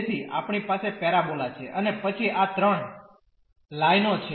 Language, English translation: Gujarati, So, we have the parabola and then these 3 lines